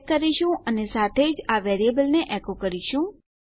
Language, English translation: Gujarati, We are taking the check and echoing out this variable as well